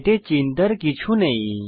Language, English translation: Bengali, This is nothing to worry about